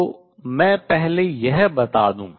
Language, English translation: Hindi, So, let me state this first